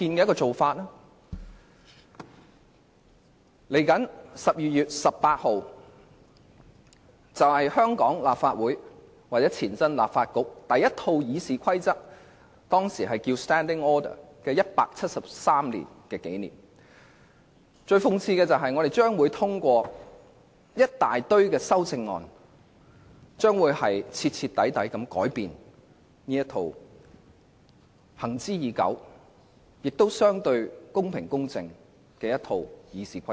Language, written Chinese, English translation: Cantonese, 今年12月18日是香港立法會或前立法局第一套《議事規則》的173周年紀念，但諷刺的是我們將會通過一大堆修訂建議，徹底改變這套行之已久、相對公平公正的《議事規則》。, 18 December of this year marks the 173 anniversary of the publication of the first set of RoP of the Legislative Council . Ironically we are going to pass a series of proposed amendments to drastically change this set of long - standing RoP which are relatively fair and equitable